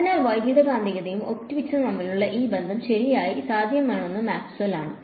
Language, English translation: Malayalam, So, this connection between the electromagnetics and optics really was made possible by Maxwell